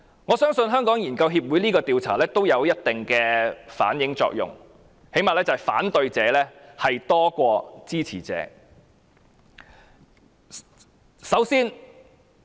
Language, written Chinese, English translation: Cantonese, 我相信，香港研究協會這項調查有一定的作用，最低限度反映反對者多於支持者。, I believe HKRAs survey has certain effect . At least it reflects that there are more opponents than supporters